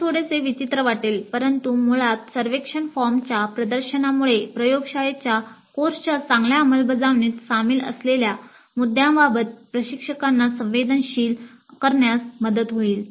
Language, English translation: Marathi, Now it looks a little bit peculiar but basically the exposure to the survey form would help sensitize the instructor to the issues that are involved in good implementation of a laboratory course